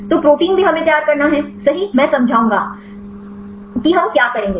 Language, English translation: Hindi, So, protein also we have to prepare right, I will explain what we will do